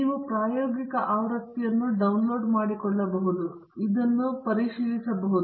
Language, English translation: Kannada, You can download a trial version and check this for yourself